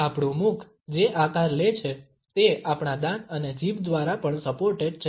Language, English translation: Gujarati, The shapes which our mouth takes are also supported by our teeth and our tongue